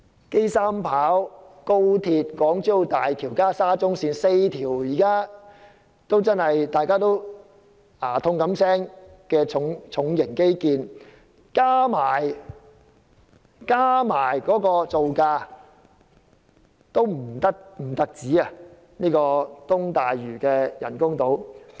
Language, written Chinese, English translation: Cantonese, 機場第三條跑道、高速鐵路、港珠澳大橋及沙中線這4項令大家頭痛不已的重型基建，其造價的總和都不及東大嶼人工島的造價。, The total construction costs of the four works projects that have given us great headaches namely the Three - Runway System of the Airport the express rail link HKZMB and the Shatin - Central Link pale in comparison to the construction costs of the East Lantau artificial islands